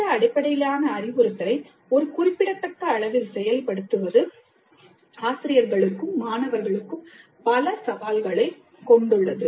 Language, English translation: Tamil, Implementing project based instruction on a significant scale has many challenges, both for faculty and students